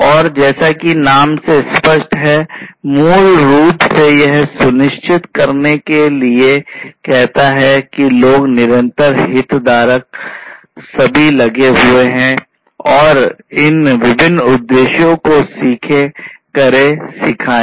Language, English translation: Hindi, And as this name says it basically to ensure that people, the constant stakeholders are all engaged, and they should follow these different objectives learn, do, teach